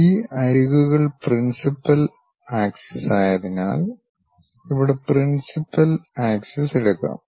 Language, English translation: Malayalam, Here the principal axis, can be taken as these edges are the principal axis